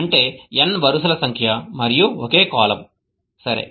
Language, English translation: Telugu, So it has n rows and a single column